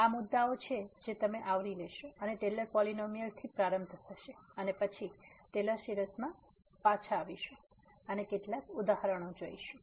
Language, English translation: Gujarati, So, these are the topics you will cover will start with the Taylor’s polynomial and then coming back to this Taylor series from the Taylor’s polynomial and some worked out examples